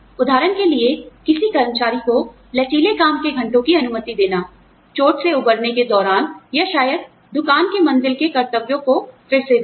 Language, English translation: Hindi, For example, permitting an employee, flexible work hours, during recovery from an injury, or maybe, re assigning shop floor duties